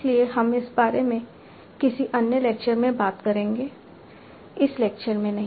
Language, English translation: Hindi, So, we will talk about that in another lecture not in this lecture